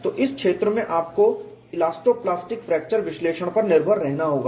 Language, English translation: Hindi, So, in this region you have to depend on elasto plastic fracture analysis and will also look at what is the variation